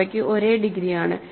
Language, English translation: Malayalam, So, they have same degree